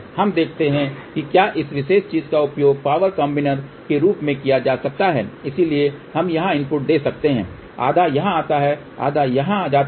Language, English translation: Hindi, Now let us see whether this particular thing can be use as a power combiner, so we can give input here half goes here half goes here